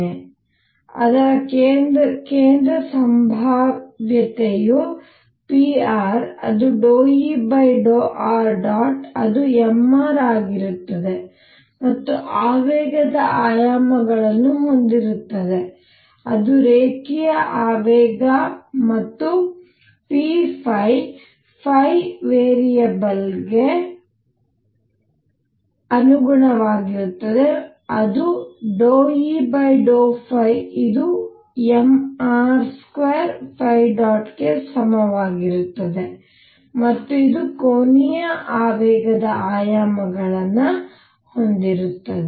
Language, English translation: Kannada, So, that its central potential then p r which is d E by d r dot is m r dot and has dimensions of momentum that is linear momentum and p phi corresponding to variable phi is partial Eover partial phi dot which is m r square phi dot and this has dimensions of angular momentum, alright